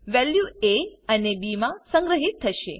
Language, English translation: Gujarati, Enter the values of a and b is displayed